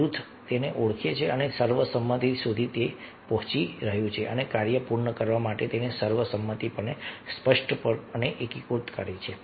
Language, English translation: Gujarati, the group recognizes that it is reaching consensus and explicitly consolidates that consensus to complete the task